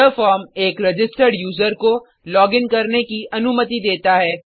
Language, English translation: Hindi, This form allows a registered user to login